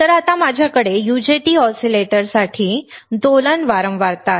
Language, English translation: Marathi, So, now I have my oscillating frequency for UJT oscillator